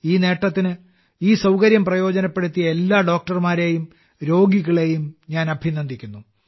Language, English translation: Malayalam, For this achievement, I congratulate all the doctors and patients who have availed of this facility